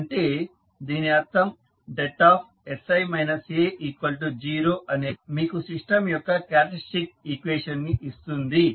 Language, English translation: Telugu, So, that means that the determinant of sI minus A equal to 0 will give you the characteristic equation of the system